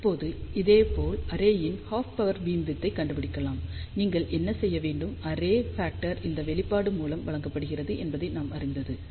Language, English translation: Tamil, Now, similarly we can find out half power beamwidth of the array, what you need to do we know that expression for array factor is given by this